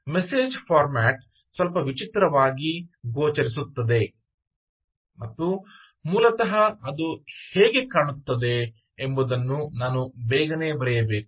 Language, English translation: Kannada, the message format appears a little strange and maybe i should quickly write down how it looks